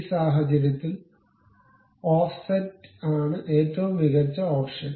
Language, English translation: Malayalam, In this case, offset is the best option to really go with